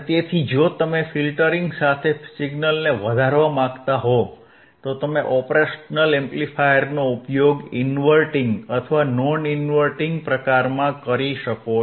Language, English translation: Gujarati, So, if you want to amplify the signal along with filtering, you can use the operational amplifier in inverting or non inverting type